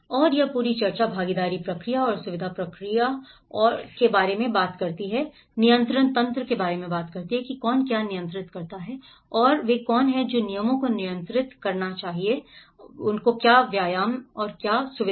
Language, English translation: Hindi, And this whole discussions talks about the participation process and the facilitation process and also the control mechanisms, who controls what and this is what who will control the rules of the exercise and the facilitators